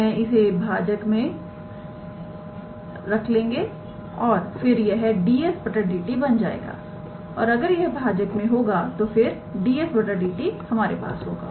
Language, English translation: Hindi, I will bring it in the denominator and then it will become ds dt and if it is in denominator then ds dt is this here